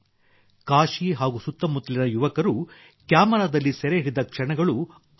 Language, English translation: Kannada, The moments that the youth of Kashi and surrounding areas have captured on camera are amazing